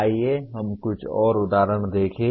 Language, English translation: Hindi, Let us look at some more examples